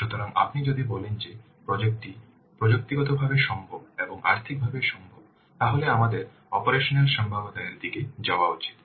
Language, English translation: Bengali, So, if you see that the project is technical feasible as well as financial feasible then we should go for the operational feasibility